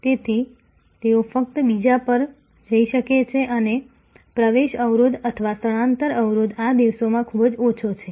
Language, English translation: Gujarati, So, they can just go to the other and the entry barrier or shifting barrier is quite low these days